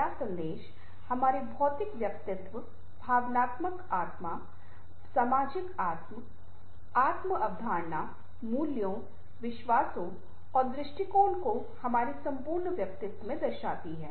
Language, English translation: Hindi, so intrapersonal messages reflect or physical self, emotional self, social self, self, concept, values, beliefs and attitude, in short, our entire personality